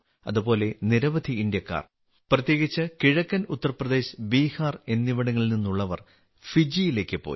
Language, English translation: Malayalam, Similarly, many Indians, especially people from eastern Uttar Pradesh and Bihar, had gone to Fiji too